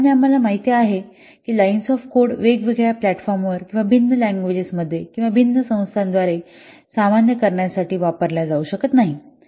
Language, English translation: Marathi, And line shape code, we know that it cannot be used for normalizing across different platforms or different languages or by different organizations